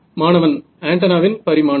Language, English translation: Tamil, Dimension of antenna about this